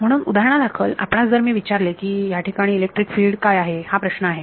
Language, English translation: Marathi, So, for example, let us say that here, I want what I am asking what is electric field over here that is the question